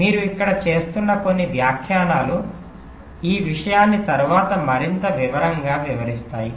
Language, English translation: Telugu, there are a few statements you are making here, of course, will be explaining this little later in more detail